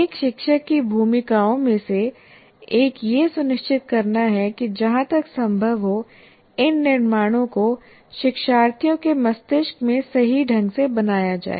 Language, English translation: Hindi, So it is necessary that one of the role of the feature is to ensure to as far as possible these constructs are made correctly or are created correctly in the brains of the learners